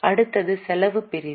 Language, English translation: Tamil, Next is an expense section